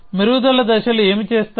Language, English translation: Telugu, What do refinement steps do